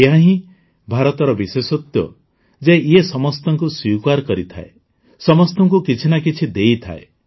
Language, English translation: Odia, This is the specialty of India that she accepts everyone, gives something or the other to everyone